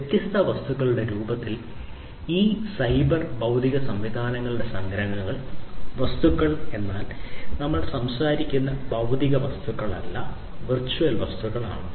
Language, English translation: Malayalam, The abstractions of these cyber physical systems in the form of different objects; objects means we are talking about virtual objects not the physical objects